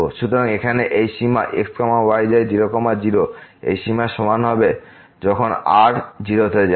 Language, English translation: Bengali, So, here this limit goes to will be equal to this limit goes to 0